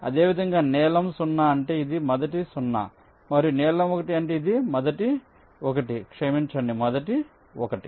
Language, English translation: Telugu, similarly, blue zero means this is the first zero and blue one means this is the ah